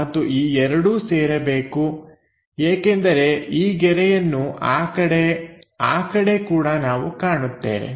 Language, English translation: Kannada, And these two supposed to get joined because this line on that side on that side also we will see